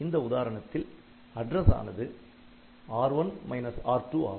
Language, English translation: Tamil, So, this will ADD R1 equal to R2 plus R3